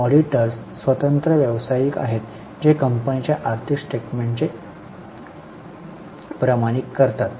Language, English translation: Marathi, Auditors are independent professionals who certify the financial statements of the company